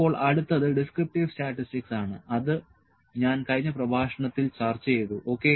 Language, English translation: Malayalam, Now, next is the descriptive statistics I have discussed in the previous lecture, ok